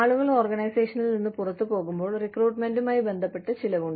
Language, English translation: Malayalam, When people leave the organization, there is a cost involved, with recruitment